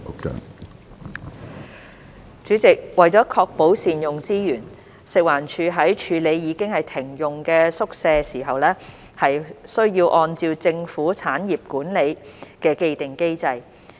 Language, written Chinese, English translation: Cantonese, 主席，為確保善用資源，食物環境衞生署在處理已停用的宿舍時，須按政府產業管理的既定機制。, President to ensure optimal use of resources the Food and Environmental Hygiene Department FEHD is required to follow the established mechanism on management of government properties in handling disused quarters